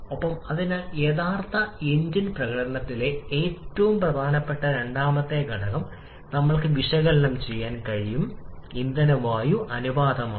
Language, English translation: Malayalam, And therefore, we can analyse the second most important factor in actual engine performance that is the fuel air ratio